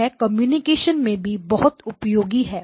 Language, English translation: Hindi, It also turns out that it is very useful in communications as well